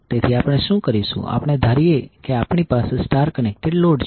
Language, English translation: Gujarati, So what we will do we will assume that we have the load as star connected